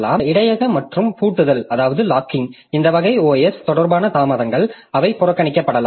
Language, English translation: Tamil, So, that way this buffering and locking, so this type of OS related delays they can be bypassed